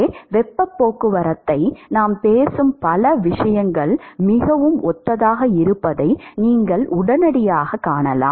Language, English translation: Tamil, So, you can immediately see that lot of things that we talk in heat transport are very similar